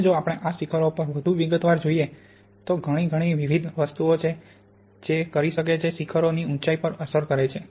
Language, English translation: Gujarati, Now if we look in more detail at these peaks, there are many, many different things that can impact the height of the peaks